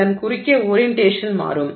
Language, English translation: Tamil, So across this the orientation will change